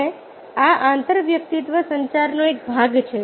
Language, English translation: Gujarati, and this is part of intrapersonal communication